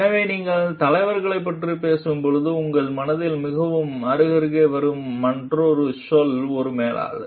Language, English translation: Tamil, So, when you are talking of leaders, another term that which comes like very side by side in your mind is that of a manager